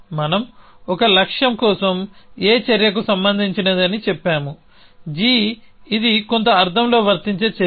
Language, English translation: Telugu, So we say an action A is relevant for a goal g this is an some sense applicable actions